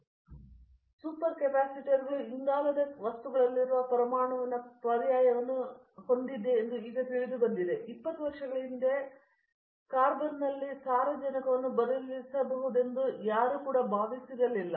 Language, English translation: Kannada, For example, super capacitors as I told you, the hetero atom substitution in carbon materials is now known, but when we started 20 years back nobody even thought that nitrogen can be substituted in carbon